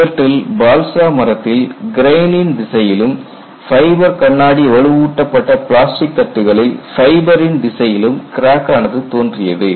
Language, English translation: Tamil, In these, cracks along the direction of the grain in balsa wood and along the fiber direction in the fiber glass reinforced plastic plates were considered